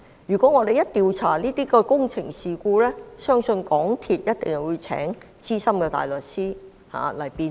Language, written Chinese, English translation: Cantonese, 如果我們調查這些工程事故，相信港鐵公司必定會聘請資深大律師辯護。, If we inquire into such construction incidents I believe MTRCL will definitely enlist the services of Senior Counsel for its defence